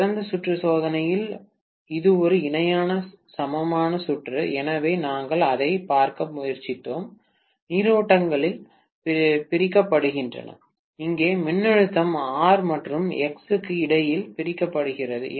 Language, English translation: Tamil, In open circuit test it was a parallel equivalent circuit, so we were trying to look at the currents being divided, here the voltage is getting divided between R and X, right